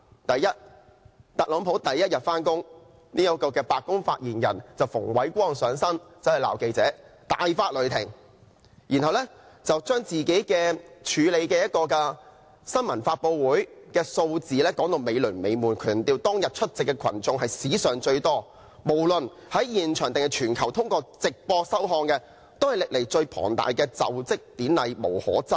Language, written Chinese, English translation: Cantonese, 第一，特朗普第一天上班，這位白宮發言人便像馮煒光般大發雷霆，責罵記者，然後把自己處理的一個新聞發布會的有關數字說得"美輪美奐"，強調無論現場還是全球通過直播收看的觀眾都是史上最多，是歷來最龐大的就職典禮，無可爭議。, First on the first day of Donald TRUMP on the job this White House spokesman like Andrew FUNG literally exploded in anger when he condemned the journalists . And then he described the figures related to a press conference handled by him as magnificent emphasizing that the audience including live audience and live broadcast audience around the world was the largest in history and that it was indisputably the grandest inauguration ceremony in history